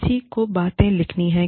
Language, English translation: Hindi, Somebody has to write things up